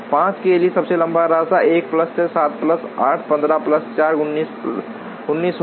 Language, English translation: Hindi, For 5 the longest path will be 1 plus 6, 7 plus 8, 15 plus 4, 19